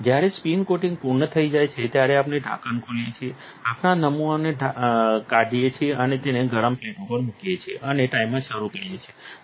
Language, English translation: Gujarati, When the spin coating is complete, we open the lid, take off our sample and put it on the hot plate and start the timer